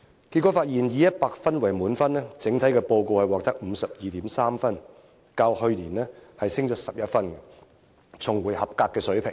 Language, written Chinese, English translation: Cantonese, 結果發現，以100分為滿分，整體報告獲得 52.3 分，較去年上升11分，重回合格水平。, The result indicated an overall score of 52.3 out of 100 a rise of 11 from last year a return to pass level